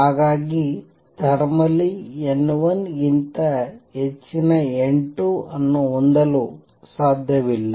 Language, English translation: Kannada, So, thermally it is not possible to have n 2 greater than n 1